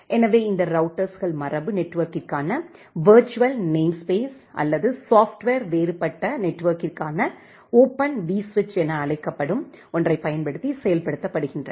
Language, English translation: Tamil, So, these routers are implemented using called something called a virtual namespace for legacy network or Open vSwitch for software different given network